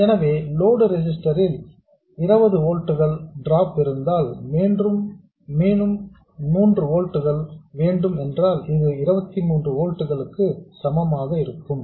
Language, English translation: Tamil, So, if you have a 20 volt drop across the load register and you want 3 volts here, this should be equal to 23 volts